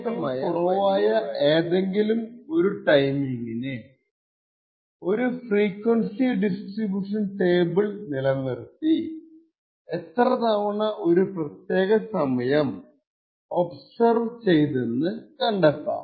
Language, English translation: Malayalam, So, for any of these timing which is less than the threshold we maintain something known as a frequency distribution table and identify how often a particular time is observed